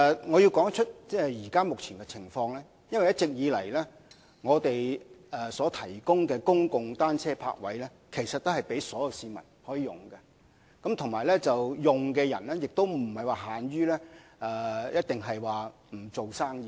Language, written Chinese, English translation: Cantonese, 我要指出現時這種情況，是因為一直以來，政府提供的公共單車泊位都是供所有市民使用，而且使用者亦不僅限於作非商業模式用途。, And I must also talk about the existing bicycle parking policy . All along all members of the public are permitted to use the public bicycle parking spaces the Government provides and such parking spaces are not restricted to non - commercial users